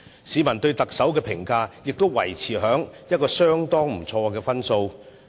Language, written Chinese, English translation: Cantonese, 市民對特首的評分亦維持在相當不錯的水平。, The rating of the Chief Executive has also maintained at a rather satisfactory level